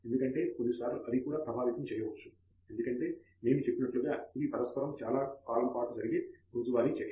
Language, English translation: Telugu, Because sometimes those can also influence because as we have said it is day to day interaction over such a long period